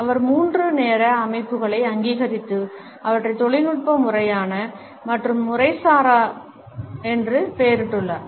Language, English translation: Tamil, He has recognized three time systems and named them as technical, formal and informal